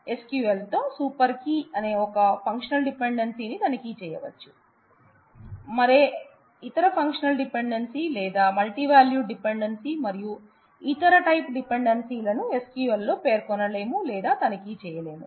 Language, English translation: Telugu, Super key is the only functional dependency that SQL would check, no other functional dependency or multivalued dependency and other type dependencies are can be specified or checked in SQL